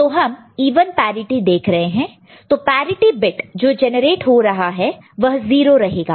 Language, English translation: Hindi, So, even parity we are looking at, so the parity bit that is getting generated will be 0